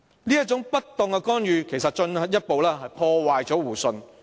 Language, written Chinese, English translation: Cantonese, 這種不當的干預進一步破壞了互信。, Such inopportune interference has further undermined mutual trust